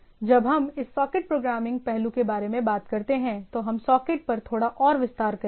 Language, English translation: Hindi, We will be detailing little more on the socket when we talk about this socket programming aspects